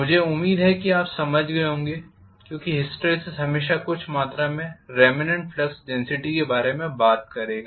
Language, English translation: Hindi, I hope you understand because hysteresis will always talk about some amount of remnant flux density